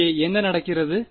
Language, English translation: Tamil, What is happening over here